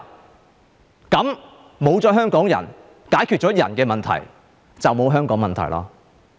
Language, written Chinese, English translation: Cantonese, 沒有了這些香港人，解決了人的問題，便沒有香港問題。, When these Hongkongers leave there will be no more human problems and no more Hong Kong problems